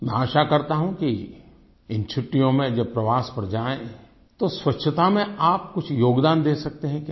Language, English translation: Hindi, I hope that when you set out on a journey during the coming holidays you can contribute something to cleanliness too